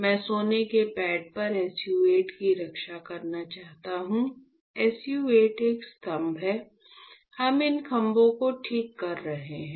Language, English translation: Hindi, I want to protect SU 8 on the gold pad, SU 8 is a pillar alright; I will tell you why we are making these pillars ok, I will tell you